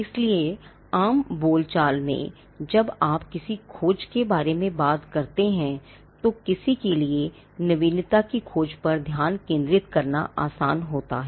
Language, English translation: Hindi, So, in common parlance when you talk about a search, it is easy for somebody to focus on a search for novelty